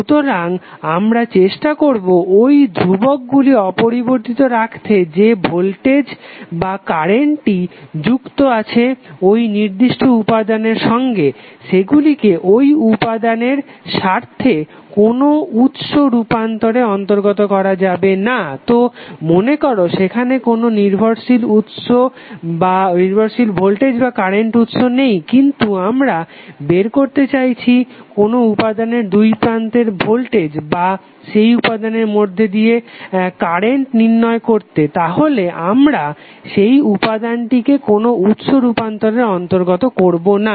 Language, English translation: Bengali, So, we try to keep those parameters untouched the voltage or current associated with the particular element is of interest that element should not be included in any source transformation so, suppose even if there is no dependent voltage or current source but, we want to find out the voltage across a element or current through that element, we will not use that element for any source transformation